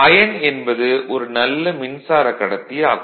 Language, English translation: Tamil, However, iron is also a good conductor of electricity